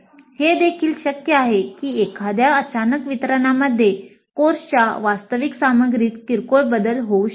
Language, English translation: Marathi, And it is also possible that in a subsequent delivery there could be minor variations in the actual content of the course